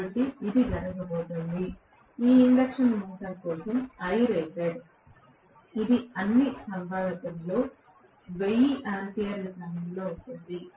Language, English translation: Telugu, So this is going to be, I rated for this induction motor which will be of the order of 1000 of amperes in all probability